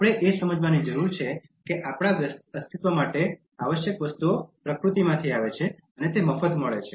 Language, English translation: Gujarati, We need to realise that the essential things for our survival come from nature and they are free